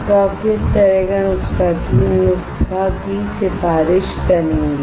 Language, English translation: Hindi, So, what kind of recipe you will recommend foundry